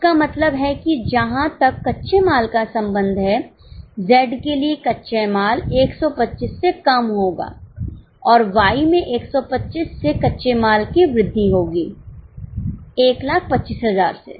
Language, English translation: Hindi, That means as far as raw material is concerned, less of raw material for Z is 125 and increase of raw material in Y is 125, 1,000